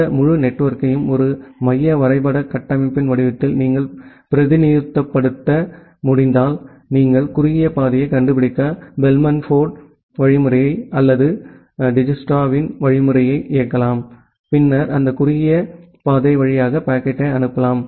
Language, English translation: Tamil, And that way if you can represent this entire network in the form of a central graph structure then you can execute the Bellman Ford algorithm or Dijkstra’s algorithm to find out the shortest path and then forward the packet through that shortest path